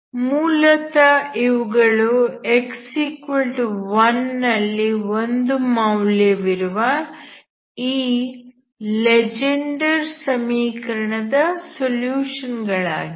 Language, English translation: Kannada, Basically these are solutions of this Legendre equation whose value at x equal to 1 should be 1, okay